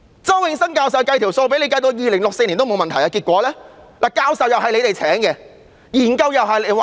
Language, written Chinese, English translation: Cantonese, 周永新教授已計算妥當，至2064年也不會出問題，但結果怎樣呢？, Prof Nelson CHOW did all the calculations and indicated that no problem would arise until 2064 but what happened then?